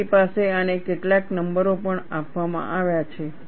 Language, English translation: Gujarati, You also have some numbers given to this